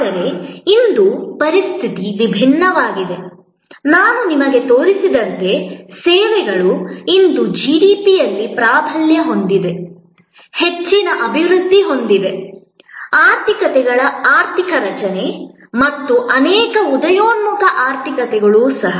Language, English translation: Kannada, But, today the situation is different, as I will show you, services today dominant the GDP, the economic structure of most developed economies and even many emerging economies